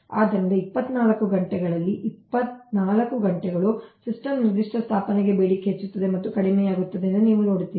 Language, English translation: Kannada, so twenty four, twenty four hours, during twenty four hours, you see that for a particular installation of system, demand is increasing and decreasing